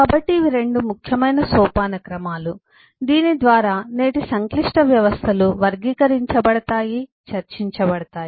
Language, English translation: Telugu, so these are the 2 key hierarchies through which complex systems of today will be, uh, characterized, will be discussed